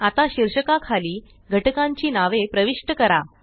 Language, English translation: Marathi, Now, lets enter the names of the components under the heading